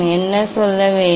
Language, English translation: Tamil, what would be telling